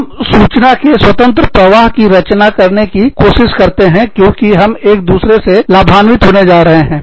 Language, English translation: Hindi, We tried to create, a free flow of information, because, we are going to benefit from, each other